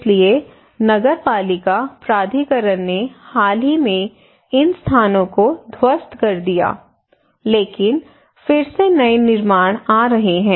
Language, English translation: Hindi, So municipal authority actually demolished these places recently, but again new constructions are coming